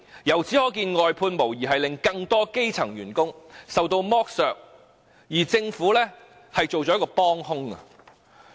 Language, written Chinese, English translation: Cantonese, 由此可見，外判制度無疑令更多基層員工受到剝削，而政府則成為幫兇。, It shows that the outsourcing system has undoubtedly caused exploitation to more grass roots workers with the Government being an accomplice